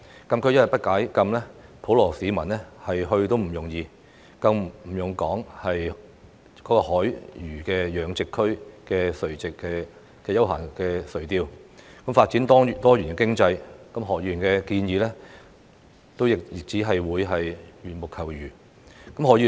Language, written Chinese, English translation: Cantonese, 禁區一天不解禁，普羅市民要前往都不容易，更不用說在海魚養殖區進行休閒垂釣，發展多元經濟，何議員的建議亦只會是緣木求魚。, As long as the restriction is not relaxed public access to STK will not be easy not to mention allowing recreational fishing in the marine fish culture zone and diversifying economic development there and Mr HOs proposal will only be attempting an impossible task